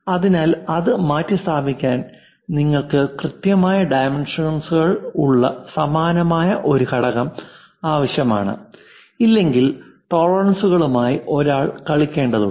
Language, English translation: Malayalam, So, to replace that you require similar kind of component of precise dimensions, if not possible then something one has to play with this tolerances